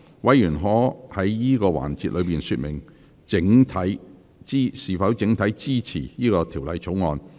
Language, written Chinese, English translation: Cantonese, 委員可在此環節說明是否整體支持《條例草案》。, Members may in this session indicate whether they support the Bill as a whole